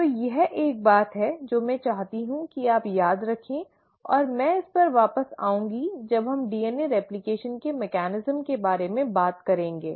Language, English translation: Hindi, So this is one thing that I want you to remember and I will come back to this when we are talking about the mechanism of DNA replication